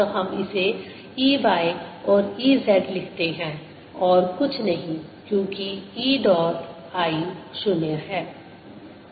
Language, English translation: Hindi, so let's write this: e, y and e, z and nothing else